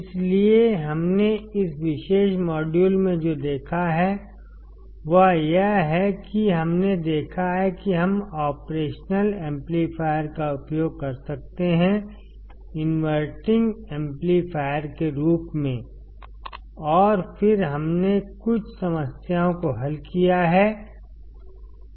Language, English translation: Hindi, So, what we have seen in this particular module is that we have seen that we can use the operation amplifier; as an inverting amplifier and then we have solved few problems